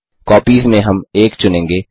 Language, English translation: Hindi, * In Copies, we will select 1